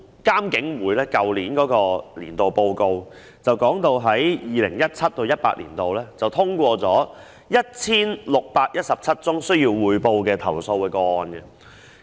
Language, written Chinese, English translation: Cantonese, 監警會在去年發表的工作報告中，提到 2017-2018 年度通過了 1,617 宗須匯報投訴個案。, As stated in the annual report of IPCC published last year 1 617 reportable complaints were passed in 2017 - 2018